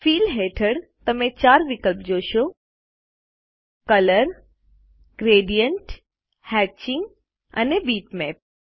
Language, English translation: Gujarati, Under Fill, you will see the 4 options Colors, Gradient, Hatching and Bitmap